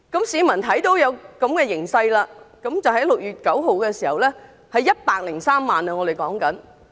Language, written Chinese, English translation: Cantonese, 市民看到這個形勢，在6月9日有103萬人上街。, Members of the public were aware that 1.03 million people took to the streets on 9 June